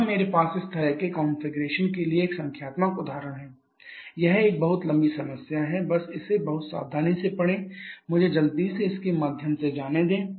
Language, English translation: Hindi, Here I have a numerical example for such a configuration it is a very long problem just read it very carefully let me go through it quickly